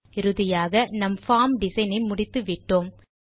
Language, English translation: Tamil, And finally, we are done with our Form design